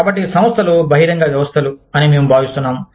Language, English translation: Telugu, So, we feel, we say that, the organizations are open systems